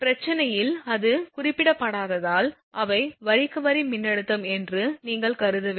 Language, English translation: Tamil, Because as it is not mentioned in the problem you have to assume that is they are line to line voltage